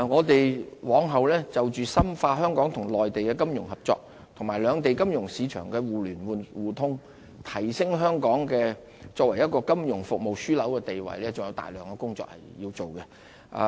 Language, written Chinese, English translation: Cantonese, 我們往後就着深化香港與內地的金融合作及兩地金融市場的互聯互通，提升香港作為金融服務樞紐的地位還有大量的工作要做。, In the future we will have a lot to do to deepen financial cooperation and mutual financial market access between Hong Kong and the Mainland so as to reinforce our position as a financial service hub